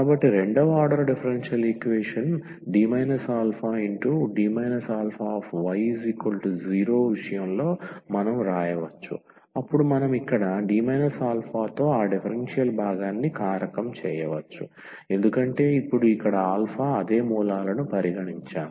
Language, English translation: Telugu, So, in case of the second order differential equation we can write down then we can factorize that differential part here with D minus alpha D minus alpha because we have considered now the same roots here alpha